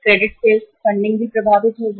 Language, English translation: Hindi, Credit sales uh funding will also be affected